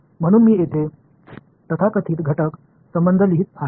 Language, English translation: Marathi, So, I am writing down these so called constitutive relations over here